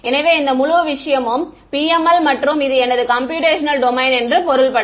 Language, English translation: Tamil, So, this whole thing is PML and this is my computational domain my object ok